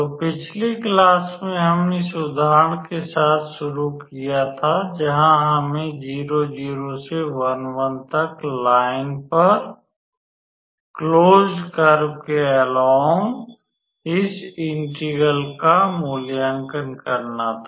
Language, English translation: Hindi, So, in the last class we started with this example where we needed to evaluate this integral along the closed curve given by the line from 0 0 to 1 1